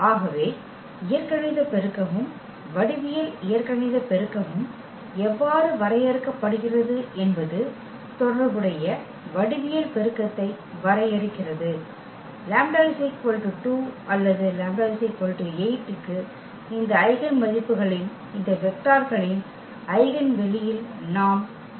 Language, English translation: Tamil, So, this is how the algebraic multiplicity and the geometric algebraic multiplicity is defined to define the geometric multiplicity corresponding; to lambda is equal to 2 or lambda is equal to 8, we need to get the eigenspace of these vectors of these eigenvalues